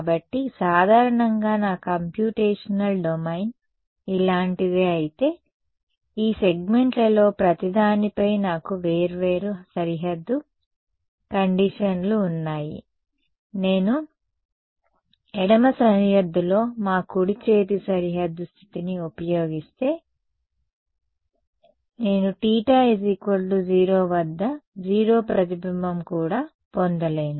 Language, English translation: Telugu, So, in general if my computational domain is something like this, I have different boundary conditions on each of these segments, if I use our right handed boundary condition on the left boundary, I will it is, I will not get even 0 reflection at theta is equal to 0